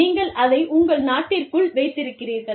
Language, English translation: Tamil, And, you have it, within your country